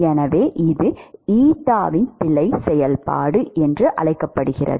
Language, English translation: Tamil, So, this is called the error function of eta